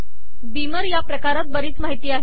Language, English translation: Marathi, Beamer class has lots of information